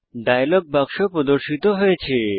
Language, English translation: Bengali, The New Contact dialog box appears